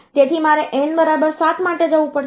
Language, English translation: Gujarati, So, I have to go for n equal to 7